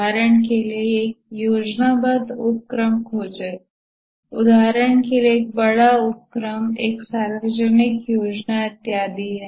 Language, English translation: Hindi, For example, find a planned undertaking, a large undertaking, for example, a public works scheme and so on